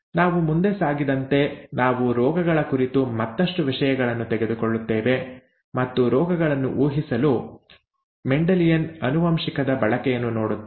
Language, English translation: Kannada, When we move forward, we will take things further towards diseases and see the use of ‘Mendelian genetics’ to be to predict diseases